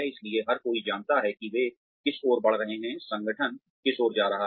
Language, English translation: Hindi, So, everybody knows, what they are heading towards, what the organization is heading towards